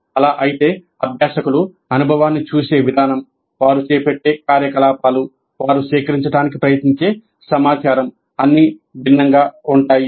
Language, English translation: Telugu, If that is so, the way the learners look at the experience, the kind of activities they undertake, the kind of information that they try to gather, would all be different